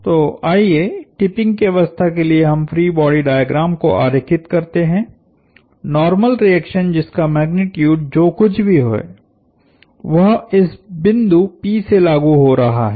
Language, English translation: Hindi, So, let us draw the free body diagram at the tipping condition, the normal reaction whatever be it in magnitude is acting through this point p